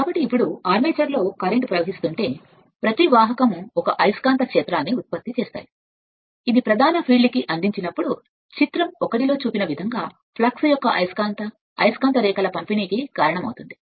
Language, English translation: Telugu, So, if so now, if the armature carries current each of the conductors will produce a magnetic field which when superimposed on the main field causes a distribution of magnet magnetic lines of flux as shown in your figure one